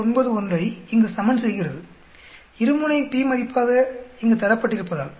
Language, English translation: Tamil, 91 that is here as it is given here two tailed p value